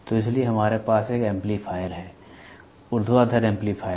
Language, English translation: Hindi, So, that is why we have an amplifier; vertical amplifiers